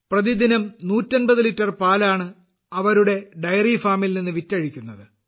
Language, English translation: Malayalam, About 150 litres of milk is being sold every day from their dairy farm